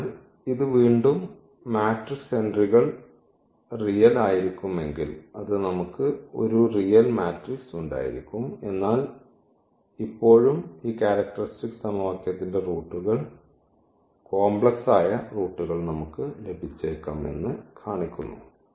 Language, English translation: Malayalam, So, that again shows that the matrix entries may be real we can have a real matrix, but still we may get the complex roots of this characteristic equation meaning the eigenvalues may be complex